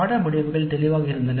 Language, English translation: Tamil, Course outcomes were clear